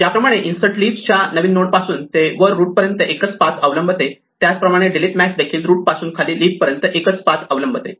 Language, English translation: Marathi, Just as insert followed a single path from the new node at the leaf up to the root, delete max will follow a single path from the root down to a leaf